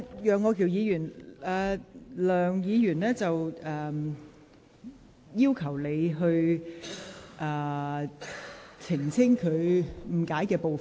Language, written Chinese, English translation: Cantonese, 楊岳橋議員，梁議員要求你澄清她被誤解的部分。, Mr Alvin YEUNG Dr LEUNG requests that you should explain the part of her speech which has been misunderstood